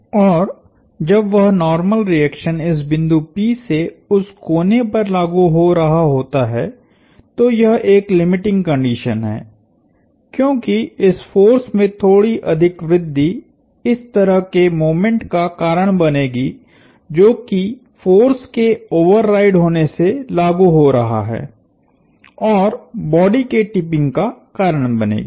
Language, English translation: Hindi, And when that normal reaction is acting through this point p at the corner that happens to be a limiting condition, because any further increase in this force will cause this kind of a moment acting due to the force to override and cause the body to tip